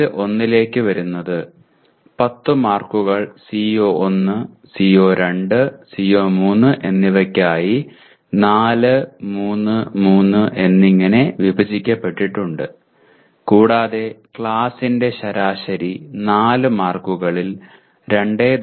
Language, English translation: Malayalam, Okay coming to test 1, 10 marks are divided between CO1, CO2, CO3 as 4, 3, 3 and the class average out of 4 marks that are possible is 2